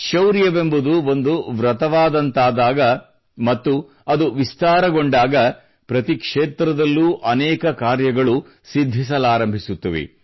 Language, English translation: Kannada, When bravery becomes a vow and it expands, then many feats start getting accomplished in every field